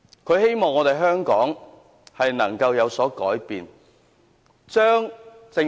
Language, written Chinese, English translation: Cantonese, 他希望香港能夠有所改變。, He hoped that there could be some changes in Hong Kong